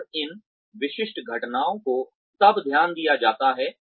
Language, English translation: Hindi, And, these specific incidents are then, taken note of